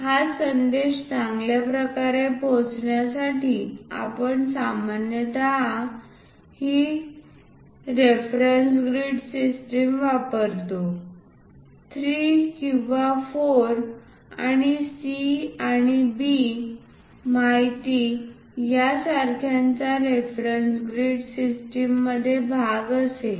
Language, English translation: Marathi, To better convey this message we usually go with this reference grid system the part will be in that reference grid system like 3, 4 and C and B information